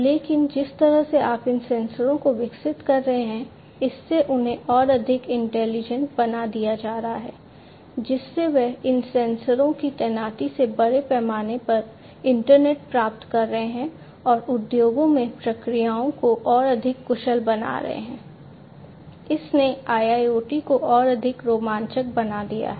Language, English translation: Hindi, But the way you are evolving these sensors making them much more intelligent connecting them to the internet getting value out of the deployment of these sensors in a big scale and making processes much more efficient, in the industries, is what has made IIoT much more exciting